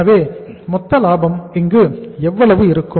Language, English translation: Tamil, So how much is the gross profit here